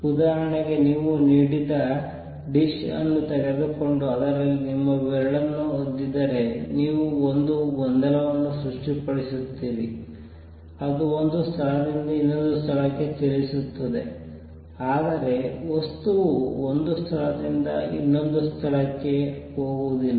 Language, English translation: Kannada, For example, if you take a dish of water and dip your finger in it, you create a disturbance that travels from one place to another, but material does not go from one place to the other